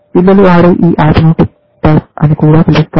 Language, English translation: Telugu, This game which children play, or Tic Tac also, as it is called